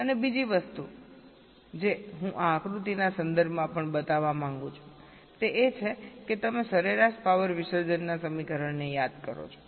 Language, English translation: Gujarati, ok, and the other thing i want to also show with respect to this diagram is that you see, you recall the average power dissipation expression